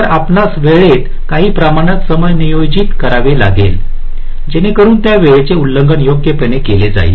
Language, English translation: Marathi, so you may have to adjust the timing in some in some way so that those timing violations are addressed right